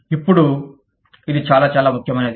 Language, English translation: Telugu, Now, this is very, very, important